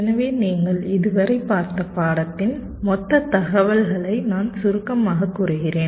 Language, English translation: Tamil, so we summarize the total coverage of the course that you have seen so far